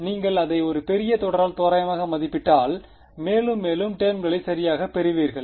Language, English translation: Tamil, So, if you approximate it by a larger series you will get more and more terms right